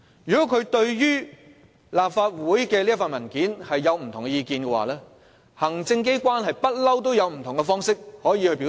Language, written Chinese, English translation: Cantonese, 如果他對立法會這份文件有不同意見，行政機關一向都可以透過不同的方式表達。, If he had different views regarding the document of the Legislative Council those views could be expressed in many ways by the Executive Authorities in accordance with the established practice